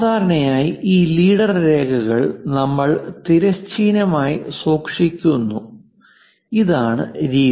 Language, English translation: Malayalam, Usually, these leader lines we keep it horizontal, this is the way